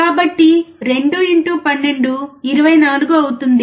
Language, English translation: Telugu, So, 2 into 12 would be 24